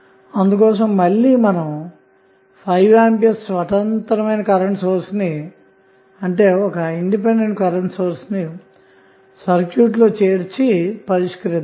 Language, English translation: Telugu, So, we will add the 5 ampere independent current source again in the circuit and then we will solve